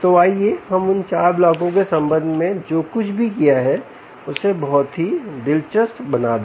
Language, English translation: Hindi, so let's put all of what we did with respect to those four blocks into something very, very interesting